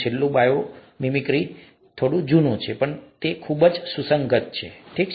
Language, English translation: Gujarati, The last one, bio mimicry, is slightly old but very relevant, okay